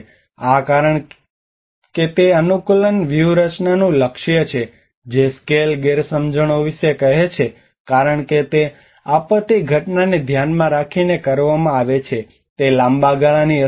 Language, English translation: Gujarati, This because it is aimed at the adaptation strategy which tells of scale mismatches because it is aimed at disaster event, it is a long term implications